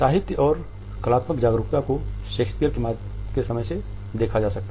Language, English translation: Hindi, The literary and artistic awareness can be traced as early as Shakespeare